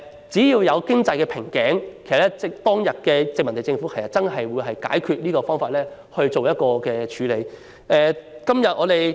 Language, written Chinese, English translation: Cantonese, 只要遇上經濟瓶頸，當日的殖民地政府會切實採取解決方法以作處理。, Whenever there was a bottleneck in economic development the former colonial government would take practical measures to resolve the problem